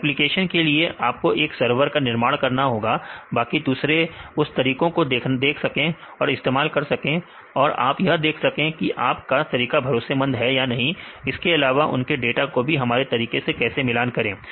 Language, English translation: Hindi, So, for the applications you have to construct a server so that others can also use your methods and see whether your method is reliable and how to compare their data also with your method